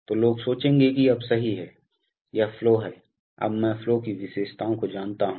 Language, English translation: Hindi, So, people will think that now okay, so this is the flow, so now I know the flow characteristics